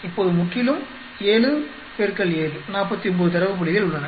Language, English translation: Tamil, Now there are totally 7 into 7, 49 data points